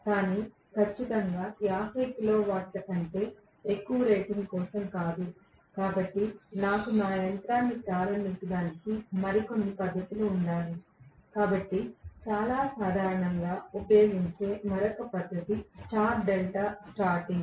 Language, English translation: Telugu, But definitely not for greater than 50 kilowatt rating right, so I should have some other method of starting a machine, so another method of starting which is very commonly used is star delta starting